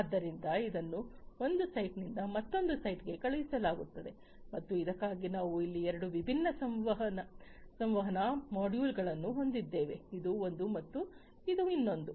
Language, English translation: Kannada, So, this is sent from one site to another site and for this we have two different communication modules over here this is one and this is another